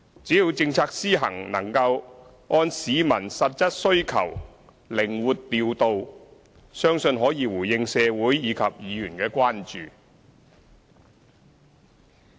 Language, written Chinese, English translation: Cantonese, 只要政策施行能夠按市民實質需求靈活調度，相信可以回應社會及議員的關注。, As long as the implementation of policies remains flexible in response to actual public demand we should be able to address the concerns of the community as well as those of Members